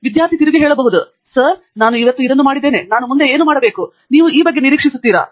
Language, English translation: Kannada, Do you expect the student to turn up and say, Sir, I have done this today and what should I do next